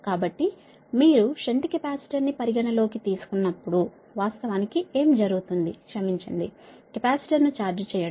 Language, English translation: Telugu, so what happens actually when, when you have your, considering the shunt capacitor, right, sorry, that charging capacitor, right